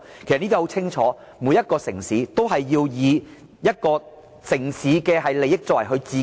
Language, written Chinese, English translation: Cantonese, 其實很清楚顯示，每個城市均以城市本身的利益來作為自身考慮、......, This shows clearly that each city needs to consider its own interest and the prime concern of the head of a city